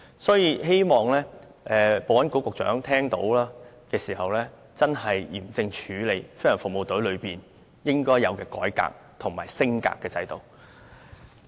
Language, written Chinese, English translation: Cantonese, 所以，我希望保安局局長聽到後，會嚴正處理飛行服務隊應有的改革和升格的制度。, So I hope that after listening to my speech the Secretary for Security can seriously deal with the reform and upgrading that GFS deserves